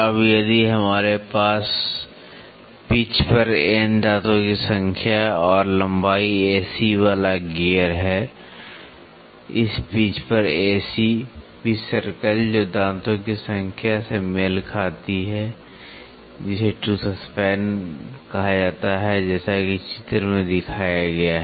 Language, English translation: Hindi, Now, if we have a gear with N number of teeth and the length A C on the pitch; A C on this pitch, pitch circle which corresponds, corresponds to ‘s’ number of teeth called tooth span as shown in the figure